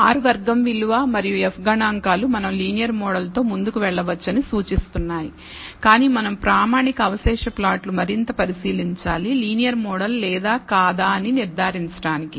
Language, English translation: Telugu, R squared value and the f statistics seems to indicate that we can go ahead with the linear model, but we should further examine the standardized residual plot for concluding whether the linear model is or not